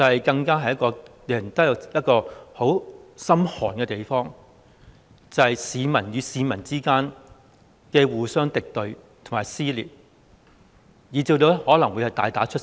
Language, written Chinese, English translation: Cantonese, 便是令人十分心寒的景況，市民與市民之間互相敵對和撕裂，以至可能會大打出手。, It is a very chilling situation where members of the public are hostile to each other torn apart from each other and possibly even fighting with each other